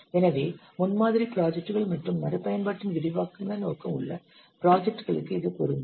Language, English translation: Tamil, So this is applicable to prototyping projects and projects where the extensive scope of reuse